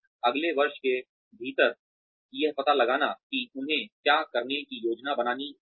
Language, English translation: Hindi, Finding out, what they should plan to do, within the next year